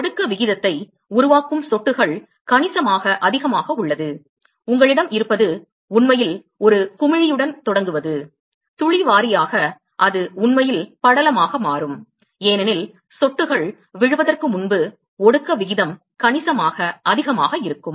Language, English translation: Tamil, Drops that is forming the condensation rate is significantly higher; what you will have is actually it is start with a bubble, drop wise and then it will actually transition to film, because the condensation rate is significantly higher before the drops fall,